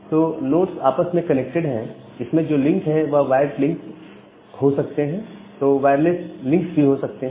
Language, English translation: Hindi, So the nodes are interconnected with each other, these links can be wired links or this can be wireless links as well